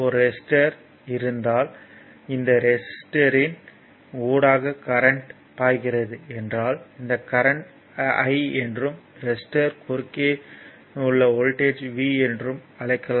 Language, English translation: Tamil, I mean if you have a resistor and current is flowing through this resistor say this current is i and across the resistor is voltage is v